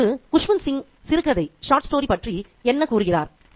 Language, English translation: Tamil, Now, what is Kuswins Sing say about the short story